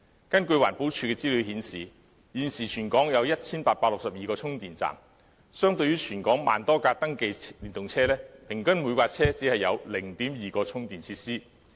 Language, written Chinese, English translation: Cantonese, 根據環境保護署的資料顯示，現時全港有 1,862 個充電站，相對於全港1萬多輛登記電動車，平均每輛車只有 0.2 個充電設施。, According to the information from the Environmental Protection Department there are currently 1 862 charging stations in the whole territory . As there are over 10 000 registered EVs in Hong Kong on average each EV can only make use of 0.2 charging station